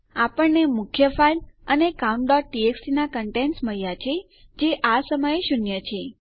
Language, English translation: Gujarati, Weve got our main file and thats getting the contents of our count.txt which is zero at the moment